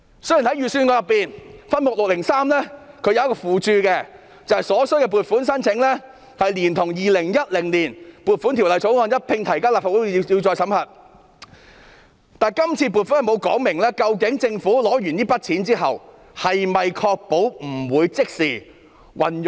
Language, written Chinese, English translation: Cantonese, 雖然預算案分目603的附註指出，所需撥款的申請連同《2020年撥款條例草案》，一併提交立法會批核，但今次臨時撥款並無說明政府在取得款項後不會即時運用。, Although the footnote to subhead 603 points out that the funding concerned will be sought in the context of the Appropriation Bill 2020 the Bill it is not stated that the funds on account being sought once obtained will not be used by the Government right away